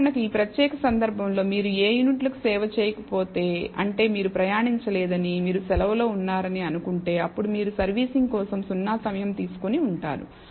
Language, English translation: Telugu, In this particular case for example, if you do not service any units which means you have not traveled you are not let us say you are on holiday then clearly you would have taken 0 time for servicing